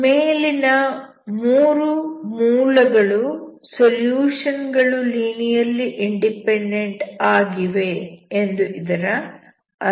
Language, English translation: Kannada, That means the above three are the linearly independent solution